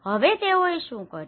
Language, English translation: Gujarati, So, what did they do